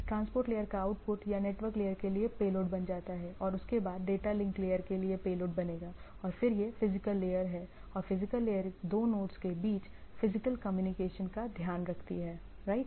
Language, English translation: Hindi, The output of the transport layer or will become a payload for the network layer and subsequently payload for the data link and then it is the physical layer and the physical layer takes care about the physical communication between two nodes, right, between the two nodes like